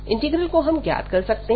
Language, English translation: Hindi, So, this is the integral